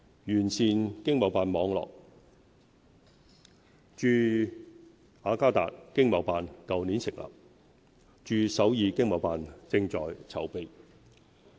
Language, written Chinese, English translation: Cantonese, 完善經貿辦網絡駐雅加達經貿辦去年成立，駐首爾經貿辦正在籌備。, The Government established an ETO in Jakarta last year and preparations to open one in Seoul are underway